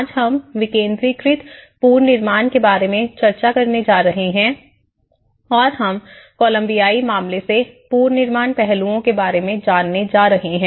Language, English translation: Hindi, Today, we are going to discuss about decentralizing reconstruction and we are going to learn about this aspect from the cases of Colombian case which is reconstruction in Colombia